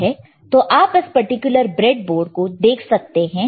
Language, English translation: Hindi, Can you see this particular breadboard